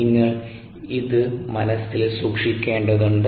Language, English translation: Malayalam, ok, you need to keep this in mind